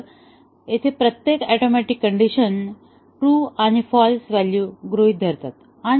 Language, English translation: Marathi, So, here each atomic condition should assume true and false values